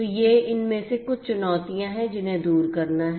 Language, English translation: Hindi, So, these are some of these challenges that have to be overcome